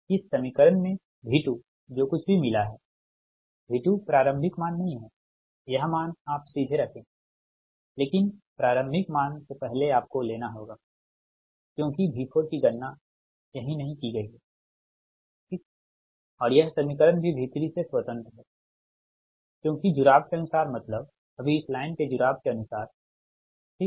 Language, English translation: Hindi, whatever you got v two in this equation, v two is advantage, the initial values, this value directly you put, but before initial value you have to take, because ah, v four is not computed here right and this in equation is also independent of v three, because, according to the ah connection that you are, you are according to this line, connectivity, right now